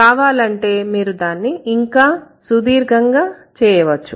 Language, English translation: Telugu, And if you want, you can even make it longer